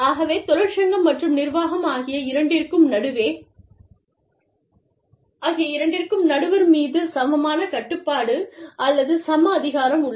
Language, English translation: Tamil, So, we both, the union and the organization, have equal control, or equal power, over the arbitrator